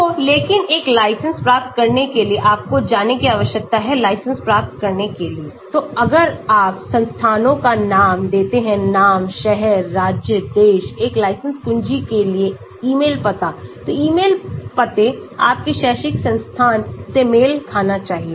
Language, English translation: Hindi, So, but in order to get a license, you need to go to get a license , so if you give the name of the institutions; name, city, state, country, email address for a license key, so email address has to match your academic institution